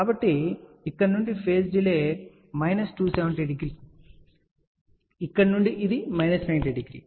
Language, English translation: Telugu, So, the phase delay from here is minus 270 degree from here it is minus 90 degree